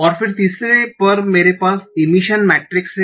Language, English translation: Hindi, And then thirdly, I have the emission matrix